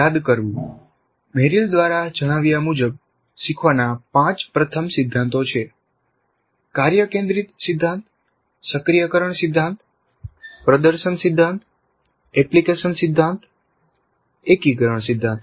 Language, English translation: Gujarati, Recalling the five first principles of learning as stated by Merrill are task centered principle, activation principle, demonstration principle, application principle, integration principle, integration principle